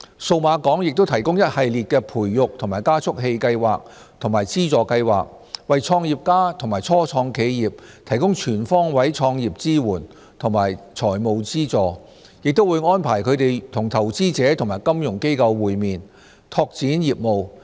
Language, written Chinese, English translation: Cantonese, 數碼港亦提供一系列培育及加速器計劃和資助計劃，為創業家及初創企業提供全方位創業支援和財務資助，亦會安排他們與投資者和金融機構會面，拓展業務。, Meanwhile Cyberport has provided a series of incubation and acceleration programmes as well as funding schemes to support entrepreneurs and start - ups with all necessary resources and funds . Meetings with investors will also be arranged to provide networking opportunities